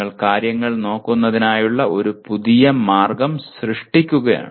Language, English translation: Malayalam, You are creating a new way of looking at things